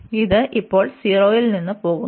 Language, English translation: Malayalam, So, this goes from 0 now